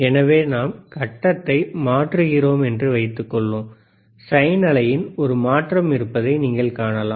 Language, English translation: Tamil, So, suppose we are changing the phase, you can see that there is a change in the sine wave